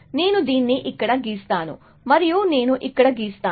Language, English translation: Telugu, So, I will draw this here, and I will draw this here